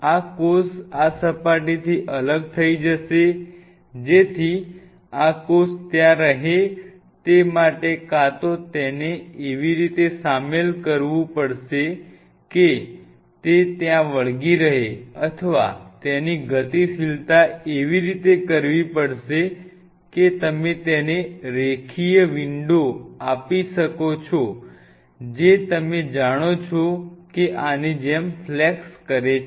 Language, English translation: Gujarati, in order for this cell to remain there, either it has to be inducted in such a way that it kind of adhere there, or its mobility has to be flexed in such a way that you give it a linear window to